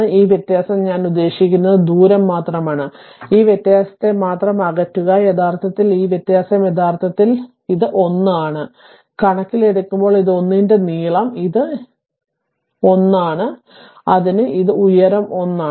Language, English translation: Malayalam, And this difference I mean only distance, only distance this difference actually this difference actually it is 1, in terms of just length this 1 and this is this is also 1, so the this height is also 1